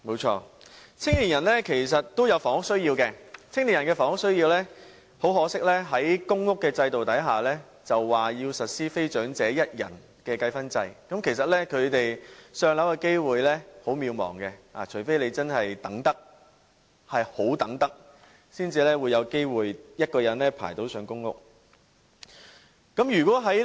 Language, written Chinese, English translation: Cantonese, 青年人其實都有房屋需要，很可惜，公屋制度實施非長者一人的計分制，他們"上樓"的機會很渺茫，除非真是不怕等候多年，才有機會輪候到一人公屋單位。, Young people have housing needs too unfortunately the points system for non - elderly one - person applicants of public housing leaves them with a slim chance of being allocated a unit . They stand a chance of getting a one - person unit only if they do not mind to wait many years